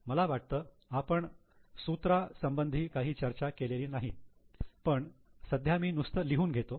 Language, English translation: Marathi, I think we have not discussed the formula but I will just write it down right now